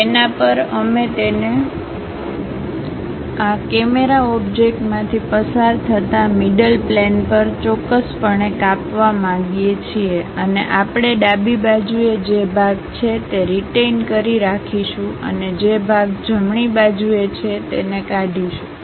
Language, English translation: Gujarati, On that we will like to slice it precisely at a mid plane passing through this camera object and we will like to retain the portion which is on the left side and remove the portion which is on the right side